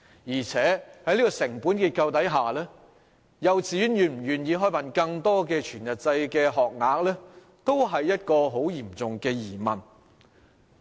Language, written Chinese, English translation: Cantonese, 而且，在成本結構下，幼稚園是否願意提供更多全日制學額也令人質疑。, Furthermore one must query whether the kindergartens are willing to provide more whole - day places under their cost structures